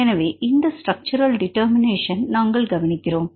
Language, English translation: Tamil, So, we look into to this structural determination